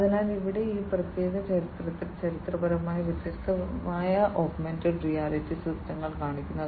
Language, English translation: Malayalam, So, here in this particular picture, there are different you know pictorially the different augmented reality systems are shown